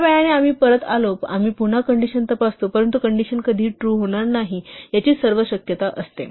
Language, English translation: Marathi, In a while we come back we check the condition again, but there is a every possibility that the condition will never become true